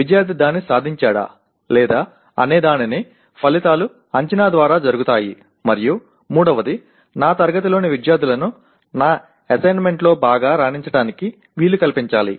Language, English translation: Telugu, Whether student has attained that or not outcomes is done through assessment and the third one is I must facilitate the students in my class to be able to perform well in my assessments